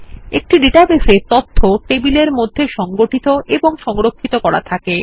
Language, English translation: Bengali, A database has data stored and organized into tables